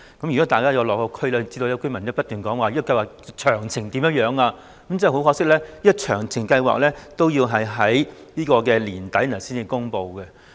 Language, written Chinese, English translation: Cantonese, 如果大家有落區便會知道，市民都不斷查詢計劃的詳情為何，但很可惜，詳情要待年底才會公布。, If Members visit the districts they will notice that people are eager to learn more about the details of the Scheme . But very regrettably the details will only be announced by the end of this year